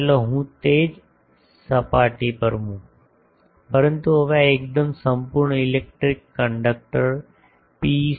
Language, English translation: Gujarati, Let me put that same surfaces, but now this is totally I put a perfect electric conductor PEC